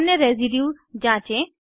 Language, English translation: Hindi, * Explore other residues